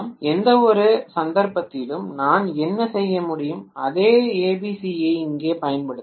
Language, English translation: Tamil, In which case what I can do is, I can apply the same ABC here